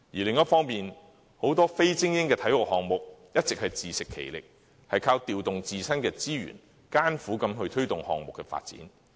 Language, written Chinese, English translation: Cantonese, 另一方面，很多非精英的體育項目一直自食其力，靠調動自身的資源，艱苦地推動項目的發展。, Meanwhile many non - elite sports have all along been self - supporting in the onerous promotion of their games using their own resources